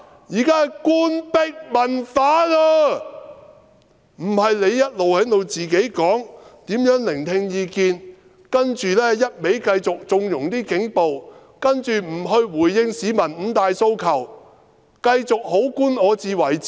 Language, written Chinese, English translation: Cantonese, 然而，你卻一直在自詡如何聆聽意見，不斷縱容警暴，又不回應市民的五大訴求，繼續"好官我自為之"。, Yet you have been boasting all along about how you listen to opinions you keep conniving at police brutality and fail to respond to the five demands put forward by members of the public and continue to regard yourself as a good official by self - conceit